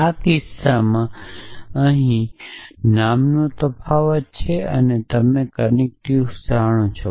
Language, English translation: Gujarati, In this case so here predicate name is differentiated and you know connective